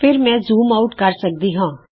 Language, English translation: Punjabi, Then I can zoom out